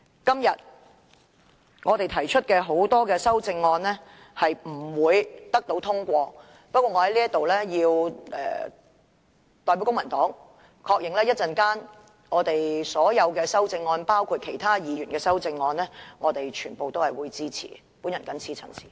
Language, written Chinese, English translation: Cantonese, 今天我們提出的多項修正案不會獲得通過，但我在此要代表公民黨確認，對於稍後將要表決的所有修正案包括其他議員的修正案，我們全部均會予以支持。, The many amendments proposed by us today will not be passed today but here let me affirm on behalf of the Civic Party that we will support all the amendments to be put to the vote later on including the amendments proposed by other Members